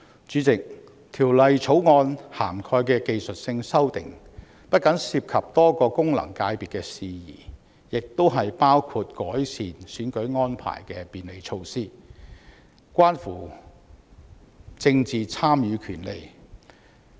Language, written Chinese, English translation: Cantonese, 主席，《條例草案》涵蓋的技術性修訂不僅涉及多個功能界別的事宜，亦包括改善選舉安排的便利措施，關乎政治參與權利。, President the technical amendments covered in the Bill not only involve issues concerning various FCs but also include facilitation measures for improving electoral arrangements which concern the right to participate in politics